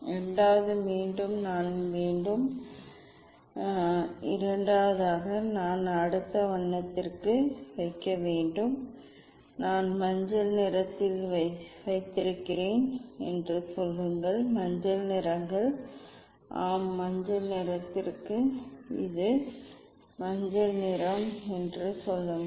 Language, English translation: Tamil, Second again I have to; second again I have to put for the next colour, say I have put at yellow colour; yellow colours yes for yellow colour this is the say yellow colour